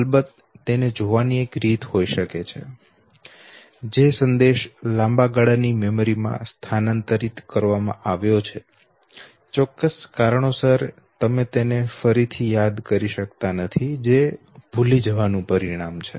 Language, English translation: Gujarati, One way of looking at it could of course be that, basically the message that has been transferred to the long term memory, for certain reason you have not been able to recollect it, which results into forgetting